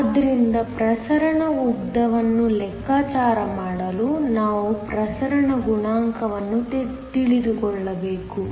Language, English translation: Kannada, So, in order to calculate the diffusion length we need to know the diffusion coefficient